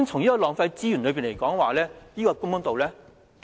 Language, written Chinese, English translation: Cantonese, 就浪費資源而言，這是否公道呢？, Insofar as the waste of resources is concerned is this fair?